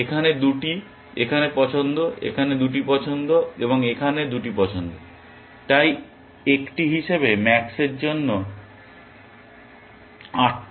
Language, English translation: Bengali, 2 here, choices here, 2 choices here, and 2 choices here so, max has 8 strategies available to that and as an